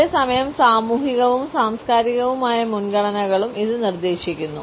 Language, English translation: Malayalam, At the same time it also suggests societal and cultural preferences